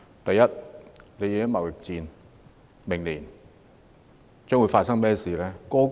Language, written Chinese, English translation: Cantonese, 第一，在貿易戰下，明年將會發生甚麼事呢？, First what will happen next year amid the looming trade war?